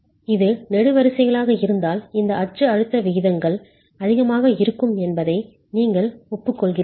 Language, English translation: Tamil, If it were a column, if it were a column these axial stress ratios will be high